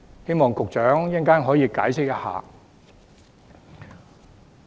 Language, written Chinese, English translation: Cantonese, 希望局長稍後解釋一下。, I hope the Secretary will do some explaining later on